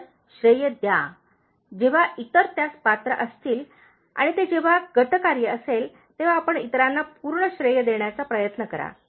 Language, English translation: Marathi, So, give credit to others, whenever they deserve it okay and whenever it is a team work you try to give full credit to others